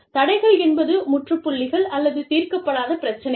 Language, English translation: Tamil, Impasses are, dead ends or issues, that remain unresolved